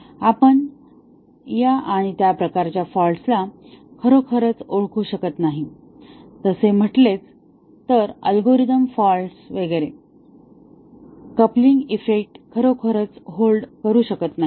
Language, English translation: Marathi, We cannot really introduce these and for those types of faults, let say algorithm faults and so on, the coupling effect may not really hold